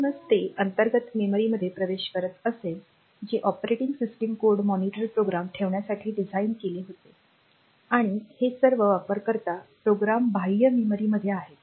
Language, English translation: Marathi, So, the when it is accessing the internal memory, that is made to hold the operating system code monitor programs and all that and the user programs are all in the external memory